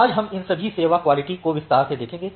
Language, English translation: Hindi, So, today we will see all these quality of service in details